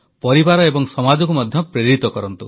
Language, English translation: Odia, Inspire the society and your family to do so